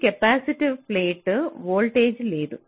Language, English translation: Telugu, so across this capacitive plate there is no voltage